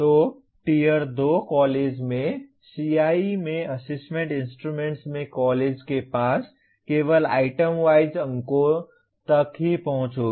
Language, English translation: Hindi, So in a Tier 2 college, the college will have only access to item wise marks in Assessment Instruments in CIE